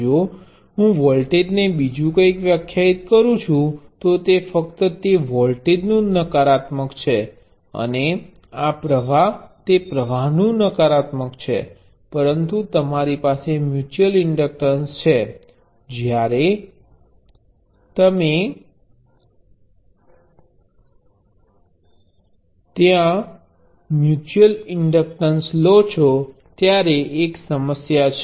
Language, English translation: Gujarati, If I define this voltage something else, it is simply the negative of that voltage and this current is the negative of that current, but when you have a mutual inductor, there is a problem